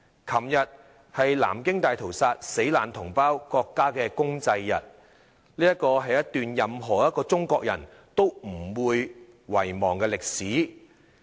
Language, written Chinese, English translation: Cantonese, 昨天是南京大屠殺死難同胞國家公祭日，這是一段任何一個中國人都不會遺忘的歷史。, Yesterday was the Nanjing Massacre National Memorial Day and it is a piece of history that no Chinese will forget